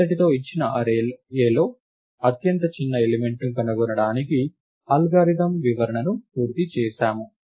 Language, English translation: Telugu, This completes the description of the algorithm to find the highest smallest element in a given array A